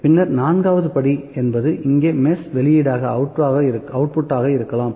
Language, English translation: Tamil, After that fourth point here could be the output of the mesh